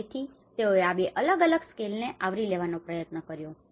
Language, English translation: Gujarati, So, these are two different scales should try to cover that